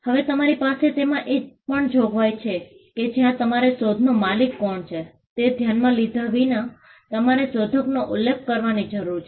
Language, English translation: Gujarati, Now, you also have a provision, where you need to mention the inventor, regardless of who owns the invention